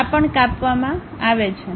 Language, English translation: Gujarati, This is also cut